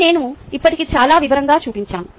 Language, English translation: Telugu, this i have already shown in great detail